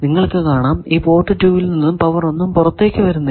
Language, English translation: Malayalam, Power at port 2, you see nothing is coming out from this port 2